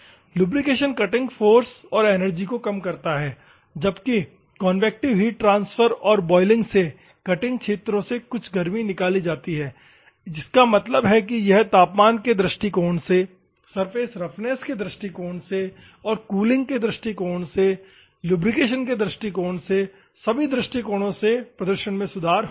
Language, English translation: Hindi, The lubrication reduces the cutting forces and cutting energy while the convective heat transfer and boiling carries the some of the heat from the cutting zones; that means, that it will improve the performance in all respects; on the temperature point of view, from the surface roughness point of view and cooling point of view, lubricating point of view, all point of view